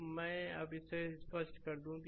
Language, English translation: Hindi, So now, let me clear it